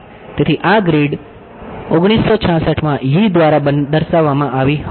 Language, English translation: Gujarati, So, this grid was what was proposed by Yee in 1966